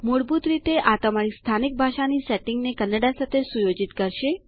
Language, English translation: Gujarati, By default, this will set your local language setting to Kannada